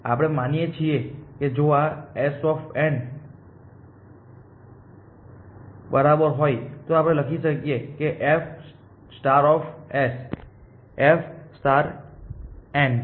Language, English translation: Gujarati, We can assume that, if this is equal to S n 1 n 2 n k G, then we can write f star of S is equal to f star of n 1